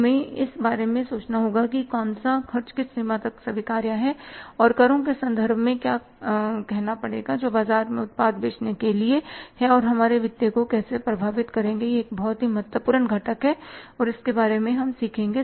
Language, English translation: Hindi, We have to think about the say which expenses permissible to what extent and what will be the implications in terms of taxes for say selling the product in the market and how they would affect our financials that is again a very very important component and we will be learning about